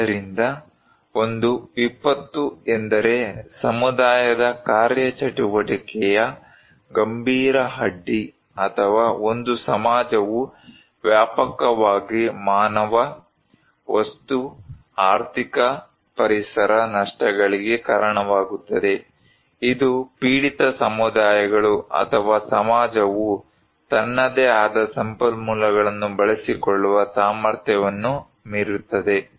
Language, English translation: Kannada, So, a disaster is a serious disruption of the functioning of community or a society causing widespread human, material, economic, environmental losses which exceed the ability of the affected communities or society to cope using its own resources